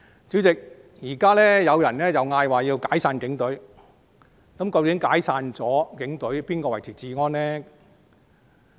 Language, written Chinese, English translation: Cantonese, 主席，現在有人提出解散警隊，那警隊解散後，誰維持治安呢？, President some people are now calling for disbanding the Police Force . Yet who would maintain law and order if the Police Force were disbanded?